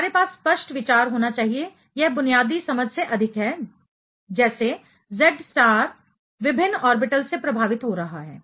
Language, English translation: Hindi, We should have a clear idea; it is more than basic understanding, how Z star is getting affected by different orbitals